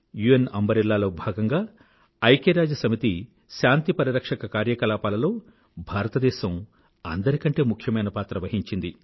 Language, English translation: Telugu, India's most important contribution under the UN umbrella is its role in UN Peacekeeping Operations